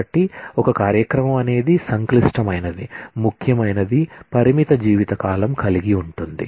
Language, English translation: Telugu, So, a program; however, complicated; however, important has a limited lifetime